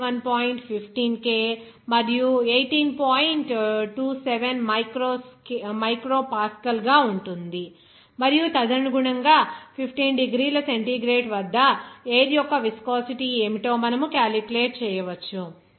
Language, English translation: Telugu, 27 micro pascal per second and accordingly, you can calculate what should be the viscosity of air at 15 degrees centigrade and it will be 1